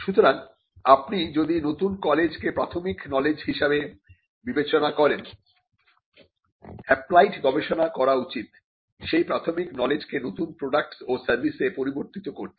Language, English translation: Bengali, So, if you understand the new knowledge as a basic knowledge that has to be some applied research that needs to be done for converting the basic knowledge into products and services